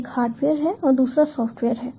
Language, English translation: Hindi, one is hardware and another is software